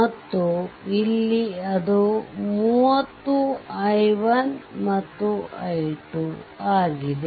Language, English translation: Kannada, And, here it is 30 i 1 and here it is your i 2 right